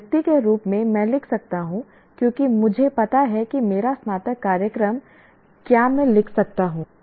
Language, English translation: Hindi, As an individual can I write because I know my undergraduate program can I write